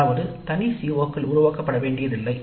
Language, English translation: Tamil, That means that separate COs are not developed